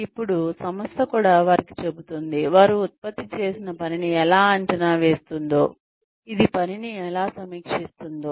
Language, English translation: Telugu, Then, the organization also tells them, how it will evaluate the work, that they have produced